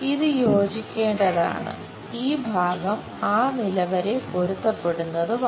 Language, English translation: Malayalam, And this one supposed to get coincided and this part coincide up to that level